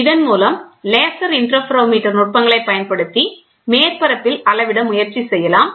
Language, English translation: Tamil, So, we use laser interferometric techniques to find out the variation all along the flat